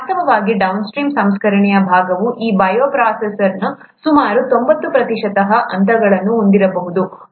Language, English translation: Kannada, In fact, the downstream processing part could have about 90 percent of the steps of this bioprocess